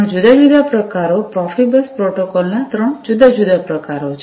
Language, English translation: Gujarati, There are three different variants, three different variants of Profibus protocol